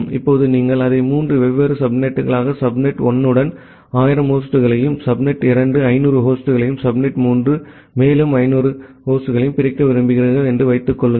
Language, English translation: Tamil, Now, assume that you want to divide it into three different subnets with subnet 1 having 1000 hosts, subnet 2 having say 500 hosts, and subnet 3 having another 500 hosts